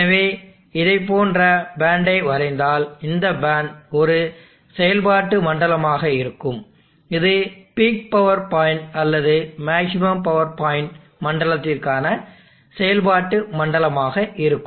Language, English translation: Tamil, So if I draw bad like this, this bad would be the zone of operation will be the zone of operation for P power point or maximum power point zone of operation